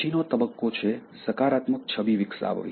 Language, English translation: Gujarati, And the next stage is, Developing Positive Image